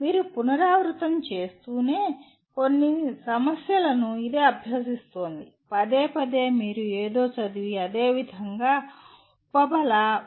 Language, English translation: Telugu, That is practicing some problems you keep on repeating, repeatedly you read something and similarly “reinforcement”